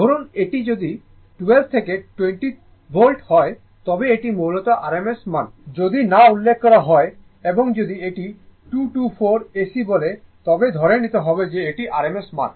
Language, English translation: Bengali, Suppose, if it is 12 to 20 volt, that is basically rms value unless and until it is not mentioned and if it say 224 AC, you have to assume this is rms value